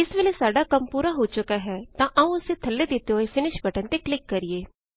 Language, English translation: Punjabi, For now, we are done, so let us click on the finish button at the bottom